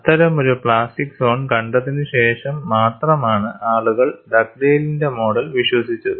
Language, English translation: Malayalam, They demonstrated the existence of plastic zone as postulated by Dugdale’s model